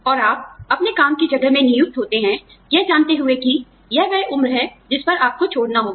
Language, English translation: Hindi, And, you join your place of work, knowing that, this is the age at which, you will be required to leave